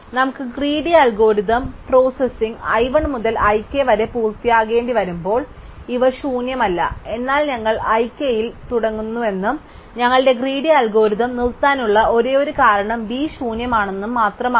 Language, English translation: Malayalam, When we have to finish in our greedy algorithm processing i 1 to i k B is not empty, but we claim that we start with i k and the only reason our greedy algorithm will stops is because B is empty